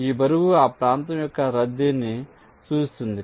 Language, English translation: Telugu, this weight indicates the congestion of that area